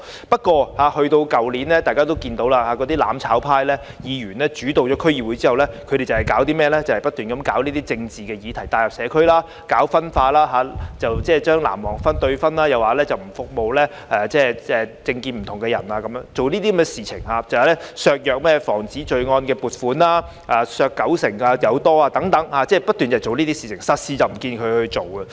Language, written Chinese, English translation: Cantonese, 不過，去年——大家都看到——當"攬炒派"議員主導了區議會後，他們只是不斷將政治議題帶入社區，搞分化，即將"藍黃"對分，又說不服務政見不同的人，又削減有關宣傳防止罪案的撥款超過九成等，他們不斷做這些事情，實事卻沒有做。, Actually the District Councils previously I have taken a leading role in a number of matters but but last year as all of us can see when members of the mutual destruction camp dominated the District Councils they only kept bringing political issues into the community to sow dissension ie . creating the blue and yellow divide . Also they refused to serve people holding a different political view and reduced more than 90 % of the funding for promoting crime prevention